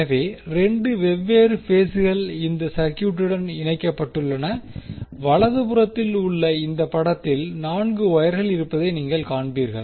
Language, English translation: Tamil, So, 2 different phases are connected to these circuit and in this figure which is on the right, you will see there are 4 wires